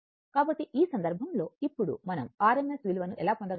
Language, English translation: Telugu, So, in this case, suppose now how we will get the r m s value